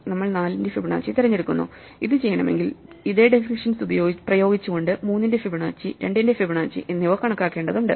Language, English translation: Malayalam, So, we pick Fibonacci of 4, and this in turn will require us to compute Fibonacci of 3 and Fibonacci of 2 by just applying the same definition to this value